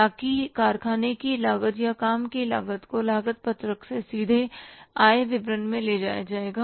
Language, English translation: Hindi, So that factory cost or the works cost will directly be taken from the cost sheet to the income statement